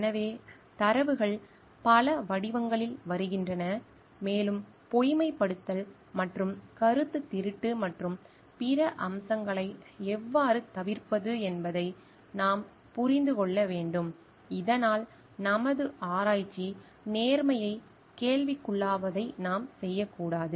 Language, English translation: Tamil, So, datas coming in many form and we need to understand how to avoid falsification and plagiarism and the other aspects, so that we do not like do something which questions our research integrity